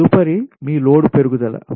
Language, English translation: Telugu, right next is your load growth